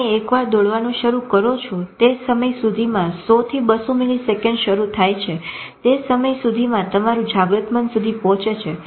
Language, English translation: Gujarati, Once you start running by that time when 200 milliseconds start, by that time it reaches your conscious brain